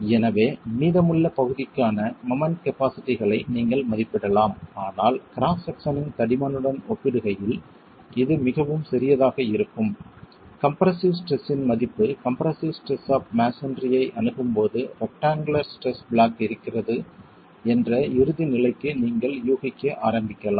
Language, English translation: Tamil, So you can then estimate the moment capacities for the remaining section but as you go close to a section which is very small in comparison to thickness of the cross section you can assume that the when the value of the compressor stress approaches the compressor strength of masonry, you can start assuming for the ultimate condition that a rectangular stress block is present and that is what is going to give you the moment capacity in the wall and the axle load capacity